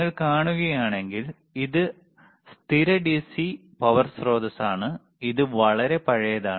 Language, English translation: Malayalam, If you see, this is fixed DC power source and this is extremely old